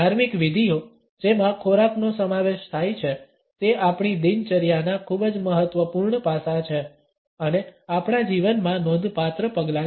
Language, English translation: Gujarati, Rituals which involve food are very important aspects of our routine and significant steps in our life